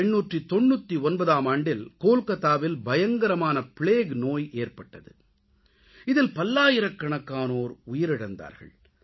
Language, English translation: Tamil, In 1899, plague broke out in Calcutta and hundreds of people lost their lives in no time